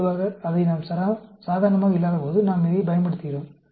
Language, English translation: Tamil, Generally, we use it when they are not normal